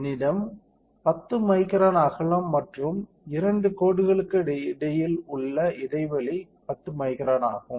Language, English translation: Tamil, If I have width of 10 microns and spacing between two line is also 10 microns